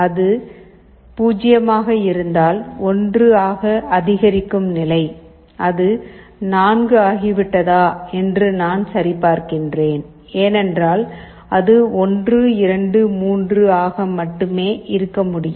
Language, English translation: Tamil, If it is 0 then increment state by 1; then I check if it has become 4, because it can be only 1, 2, 3